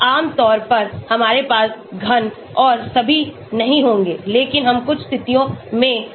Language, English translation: Hindi, Generally, we will not have cube and all but we can have square in certain situations